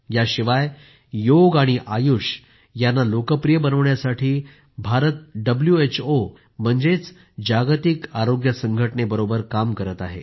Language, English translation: Marathi, Apart from this, India is working closely with WHO or World Health Organization to popularize Yoga and AYUSH